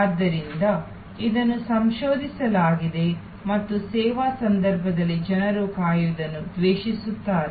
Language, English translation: Kannada, So, it has been researched and found that in the service context people hate to wait